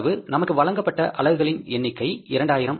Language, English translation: Tamil, What is the value of this 2,000 units